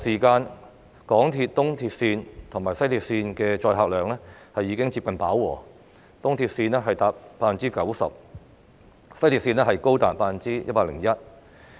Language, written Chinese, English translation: Cantonese, 港鐵東鐵綫及西鐵綫在繁忙時間的載客量已經接近飽和，東鐵綫達 90%， 西鐵綫更高達 101%。, The MTR East Rail Line and West Rail Line are already operating at close to capacity during peak hours with the former at 90 % and the latter at a staggering 101 %